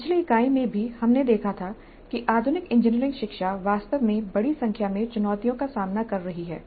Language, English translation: Hindi, In the early unit also we saw that the modern engineering education is really facing a large number of challenges